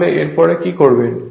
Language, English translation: Bengali, So, after this, what you will do